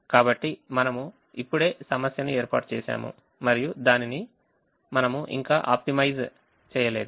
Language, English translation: Telugu, so we have just set up the problem, we have not optimized it